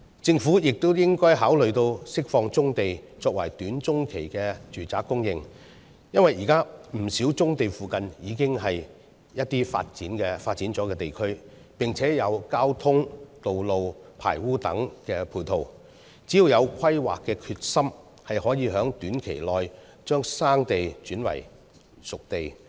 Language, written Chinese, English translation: Cantonese, 政府亦應該考慮釋放棕地，作為短中期的住宅供應。因為，現時不少棕地附近也是已發展地區，並且有交通、道路和排污等配套，只要有規劃的決心，就可以在短期內把生地轉為熟地。, The Government should also consider releasing brownfield sites for short - and medium - term residential housing supply because as many existing brownfield sites are close to developed areas with transport road sewage disposal and other facilities the potential sites can be turned into disposed sites in a short period of time provided that the Governments sights are set on such planning